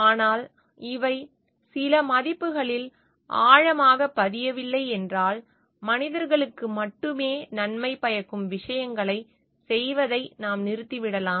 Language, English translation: Tamil, But if these are not ingrained in some values, then we may stop doing things which are only beneficial for the human beings